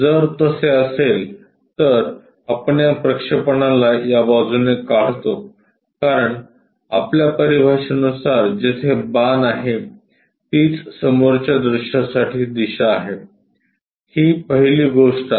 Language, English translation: Marathi, If that is the case can, we draw these projections from this side because our terminologies wherever the arrow is there that is the direction for the front view, this is the first thing